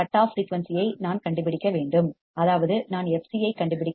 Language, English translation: Tamil, I have to find the cutoff frequency; that means, I have to find fc